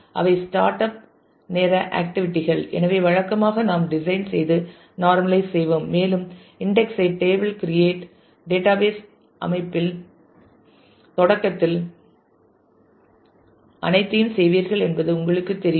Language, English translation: Tamil, So, those are the startup time activities; so, usually we will design and normalize and you know make the create table and do all that at the beginning of a database system